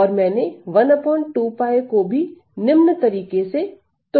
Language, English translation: Hindi, And I have broken down this 1 by 2 pi as follows